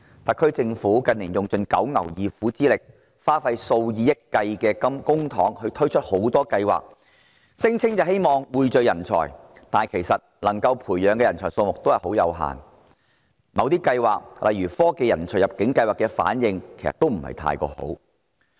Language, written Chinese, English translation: Cantonese, 特區政府近年使盡九牛二虎之力，花費數以億元計公帑推出多項計劃，聲稱希望匯聚人才，但培養出來的人才數目其實很有限，某些計劃如科技人才入境計劃的反應也不太好。, In recent years the Special Administrative Region SAR Government has been exerting enormous efforts and spending hundreds and millions of dollars of public money to roll out various initiatives in the professed hope of pooling talent . But the number of talent nurtured in such ways is limited with some schemes such as the Technology Talent Admission Scheme attracting a less than positive response